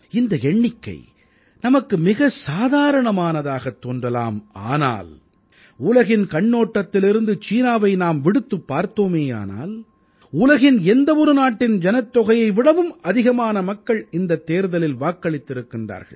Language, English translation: Tamil, We can think of this figure as one ordinary but if I place it in a global perspective, if you exclude China, the number of people who voted in India exceeds the population of any other country in the world